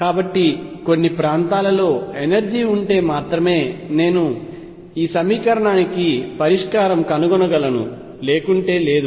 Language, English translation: Telugu, So, only if energy is in certain regions that I can find the solution for this equation, otherwise no